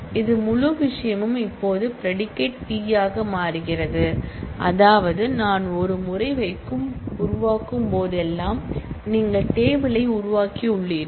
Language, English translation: Tamil, And this whole thing now becomes the predicate P on which I give a check which means that, whenever I am creating once, you have created the table